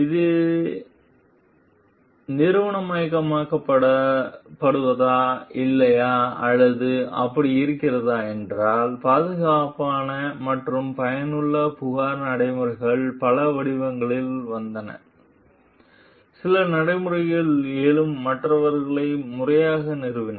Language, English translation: Tamil, So, if whether it is institutionalized or not or like so, safe and effective complaint procedures come in many forms, some formally instituted others arising de facto